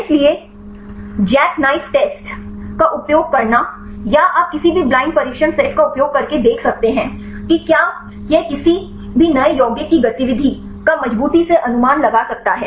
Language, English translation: Hindi, So, using the jackknife test or you can use any blind test set to see whether this can predict reliably the activity of any new compound right